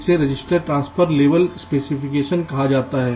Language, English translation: Hindi, this is called register transfer level specification